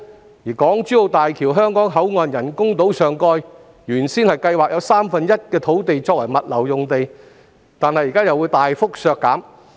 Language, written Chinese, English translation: Cantonese, 此外，港珠澳大橋香港口岸的人工島上蓋原本有三分之一土地計劃用作物流用地，但現在又會大幅削減相關面積。, In addition one third of the topside space at Hong Kong Boundary Crossing Facilities island of Hong Kong - Zhuhai - Macao Bridge was initially planned for logistics use but this area will now be significantly reduced